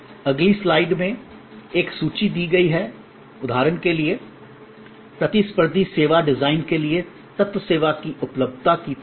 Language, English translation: Hindi, A list is provided in the next slide here for example, for a competitive service design, the elements are like availability of the service